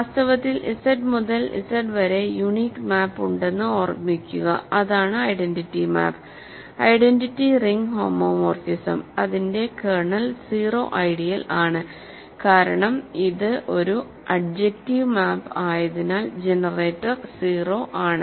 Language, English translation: Malayalam, Remember there is a unique map from Z to Z in fact, that is the identity map, identity ring homomorphism its kernel is the 0 ideal because, it is an adjective map and hence the generator is 0